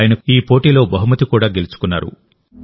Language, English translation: Telugu, He has also won a prize in this competition